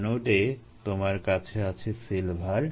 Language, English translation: Bengali, at the anode you have a silver plus ah